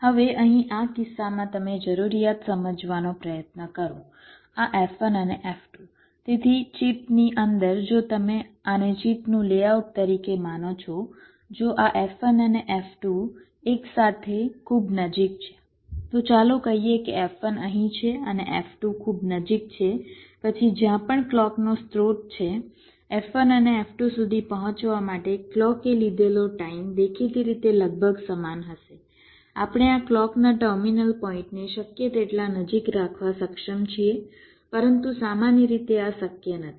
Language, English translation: Gujarati, so if inside a chip, if you consider this as the layout of the chip, if this, this f one and f two are very close together lets say f one is here and f two is very close together then wherever the clock source is, the, the time taken for the clock to reach f one and f two will obviously be approximately equal if we are able to keep this clock terminal points as close as possible